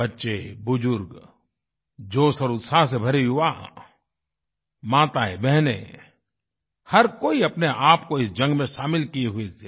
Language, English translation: Hindi, Children, the elderly, the youth full of energy and enthusiasm, women, girls turned out to participate in this battle